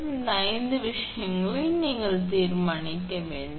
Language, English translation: Tamil, So, these five things you have to determine